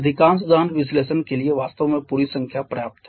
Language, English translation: Hindi, For most of the combustion analysis actually the whole number is sufficient